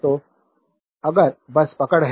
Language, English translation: Hindi, So, if you just hold on